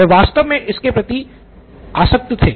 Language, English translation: Hindi, So he was really enamoured by it